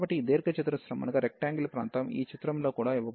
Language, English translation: Telugu, So, for this rectangular region, which is also given in this figure